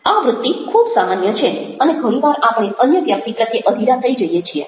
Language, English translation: Gujarati, this impulse is very common and very often we get impatient with the other person